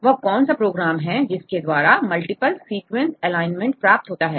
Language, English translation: Hindi, Which is a program which can give the multiple sequence alignment